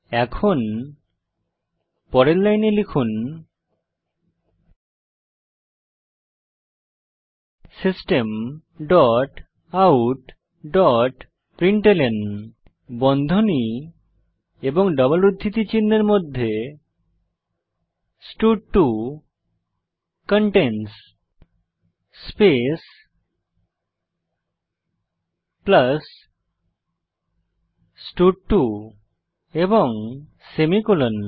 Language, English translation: Bengali, Now type next line System dot out dot println within brackets and double quotes stud2 contains space plus stud2 and then semicolon